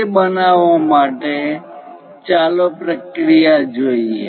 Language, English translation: Gujarati, To do that let us look at the procedure